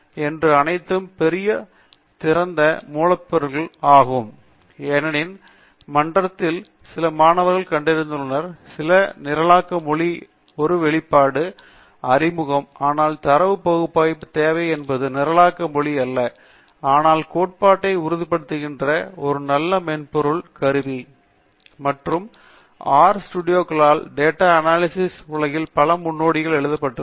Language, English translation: Tamil, Anyway, so hopefully I have introduced to you through these examples first of all the great free open source software package called R, because some of the students have seen in the forum have requested for introduction to, an exposure to some programming language, but what is needed in data analysis is not necessary programming language, but a nice software tool that confirms to the theory, and R has been written by many of the pioneers in the world of statistical data analysis